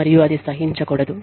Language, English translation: Telugu, And, should not be tolerated